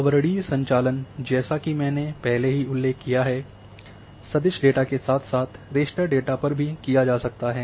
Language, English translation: Hindi, So, these overlaying operations as I already mentioned can be performed on both types of vector data as well as raster data